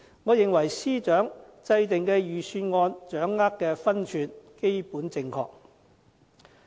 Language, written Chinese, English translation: Cantonese, 我認為司長制訂的預算案掌握的分寸基本正確。, In my opinion the approach the incumbent Financial Secretary has adopted is basically correct